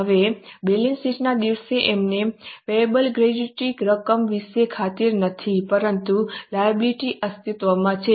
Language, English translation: Gujarati, Now, as on the day of balance sheet, we are not sure about the gratuity amount payable, but the liability exists